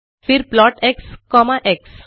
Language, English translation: Hindi, Then plot x comma x